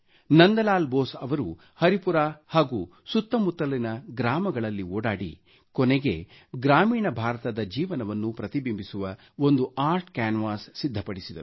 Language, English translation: Kannada, Nandlal Bose toured villages around Haripura, concluding with a few works of art canvas, depicting glimpses of life in rural India